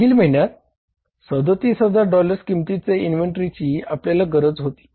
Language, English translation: Marathi, Our requirement in the previous month was 37,000 worth of dollars